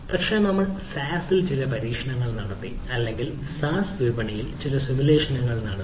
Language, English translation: Malayalam, but we did ah some experimentation on the saas or some simulation on the saas marketplace